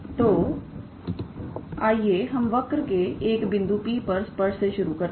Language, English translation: Hindi, So, let us start, tangent to a curve at a point P